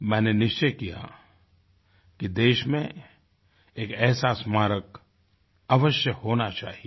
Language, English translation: Hindi, And I took a resolve that the country must have such a Memorial